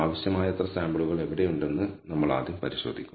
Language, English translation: Malayalam, We will first look at the case of where we have sufficient number of samples